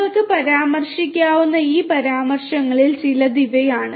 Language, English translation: Malayalam, These are some of these references that you could refer to